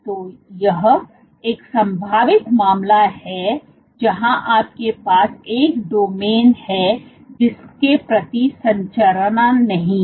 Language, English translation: Hindi, So, this is one possible case where you have a domain A, which does not have a structure part say